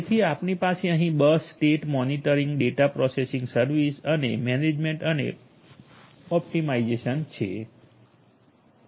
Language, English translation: Gujarati, So, you have over here bus state monitoring, data processing service and third is in the management and optimization